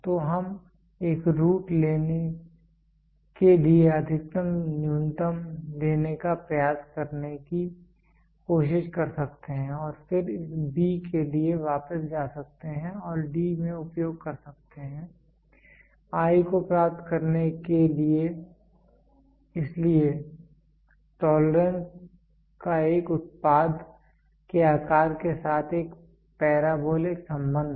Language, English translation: Hindi, So, we can try to take the maximum minimum try to take a root and then go back for this b and use it in this D to get the I so, the tolerance have a parabolic relationship with a size of a product